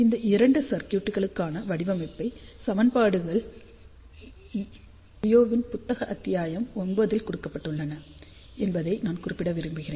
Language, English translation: Tamil, I just want to mention that design equations for both these circuits are given in Liao's book chapter 9